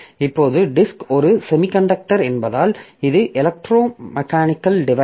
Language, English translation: Tamil, Now, disk being a semiconductor, sorry, this is being an electromechanical device